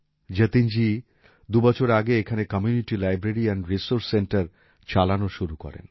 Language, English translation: Bengali, Jatin ji had started a 'Community Library and Resource Centre' here two years ago